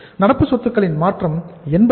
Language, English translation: Tamil, That change in the current assets is 0